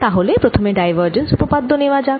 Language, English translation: Bengali, so let us first take divergence theorem